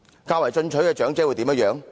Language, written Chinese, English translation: Cantonese, 較為進取的長者會如何呢？, What will those elderly people who look for more do?